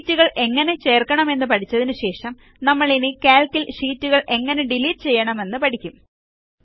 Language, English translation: Malayalam, After learning about how to insert sheets, we will now learn how to delete sheets in Calc